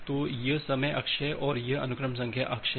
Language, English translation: Hindi, So this is the time axis and this is the sequence number axis